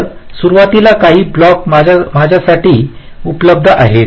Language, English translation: Marathi, so initially there are few blocks